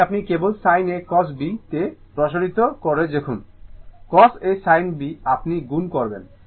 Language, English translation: Bengali, This one you just expand it in sin A cos B when plus your what you call cos A sin B, and you multiply